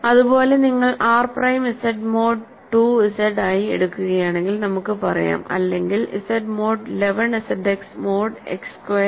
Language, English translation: Malayalam, Similarly, if you take R prime to be Z mod 2 Z let us say or Z mod 11 Z X mod X squared characteristic of R prime is actually 11 because, this is also an exercise